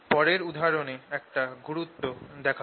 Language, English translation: Bengali, in next example we show the importance of that